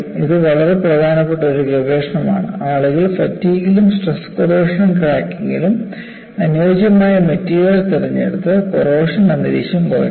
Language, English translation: Malayalam, It is one of the very important research, people do in fatigue and in the case of stress corrosion cracking, select the suitable material and minimize the corrosive environment